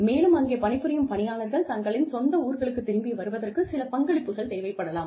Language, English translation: Tamil, And, the employees, that are working there, would probably need things like, you know, some contribution towards their travel, back to their hometowns